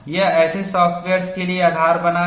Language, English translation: Hindi, It forms the basis, for such softwares